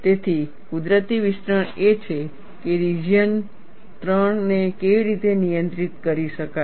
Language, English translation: Gujarati, So, the natural extension is, how region 3 can be handled